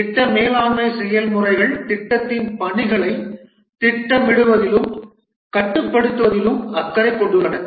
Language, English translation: Tamil, The project management processes are concerned with planning and controlling the work of the project